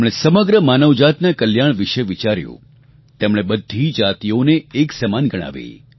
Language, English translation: Gujarati, He envisioned the welfare of all humanity and considered all castes to be equal